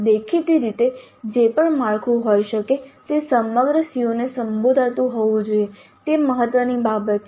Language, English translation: Gujarati, Obviously whatever be the structure it must address all the COs, that is important thing